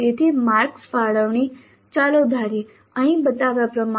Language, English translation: Gujarati, So the marks allocation let us assume is as shown here